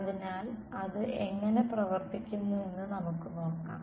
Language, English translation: Malayalam, So, let us see how that works out